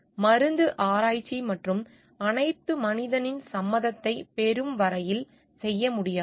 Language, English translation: Tamil, So, in case of pharmaceutical research and all is cannot be done on human until and unless their consent is taken